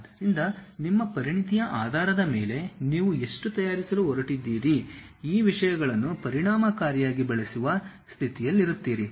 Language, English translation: Kannada, So, based on your expertise how much you are going to prepare you will be in a position to effectively use these things